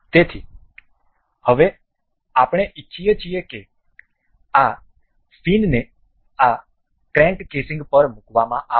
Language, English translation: Gujarati, So, now, we want this this fin to be rotated to be placed over this crank casing